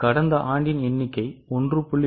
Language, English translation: Tamil, So, last year's figure into 1